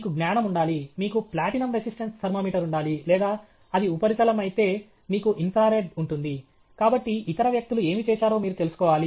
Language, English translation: Telugu, You should have knowledge; you should have platinum resistance thermometer or if it is a surface you will have infrared, therefore, you must know what other people have done